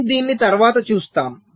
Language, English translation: Telugu, ok, so we shall see this subsequently